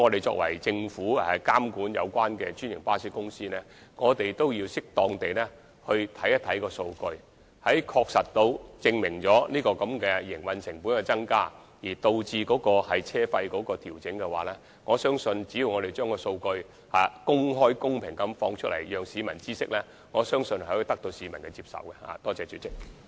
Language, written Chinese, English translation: Cantonese, 由於政府負責監管專營巴士公司，我們必須適當地研究數據，當證實營運成本增加而導致車費須予調整時，我相信只要我們將數據公開、公平地讓市民知悉，是可以得到市民的接受的。, As the Government is responsible for monitoring the franchised bus companies we must study the statistics as appropriate and when there is a proven increase in the operational cost which necessitates a fare adjustment I believe it will be acceptable to the public as long as we provide the statistics for public information in an open and fair manner